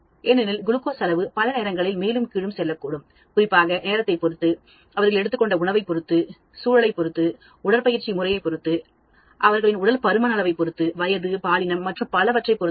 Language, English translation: Tamil, Because glucose levels may go up and down depending upon the time, depending upon the food they have taken, depending upon the environment, depending upon the exercise pattern, depending upon their obesity level, depending upon the age, gender, and so on